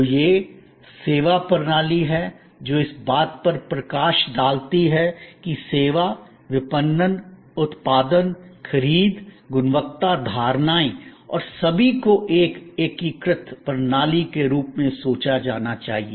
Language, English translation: Hindi, So, this is the servuction system, highlighting that in service, marketing, production, procurement, quality perceptions and all to be thought of as an integrated system